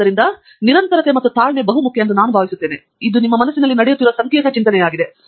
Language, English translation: Kannada, So, I think persistence and patience, and it is a complicated thinking that is happening in your mind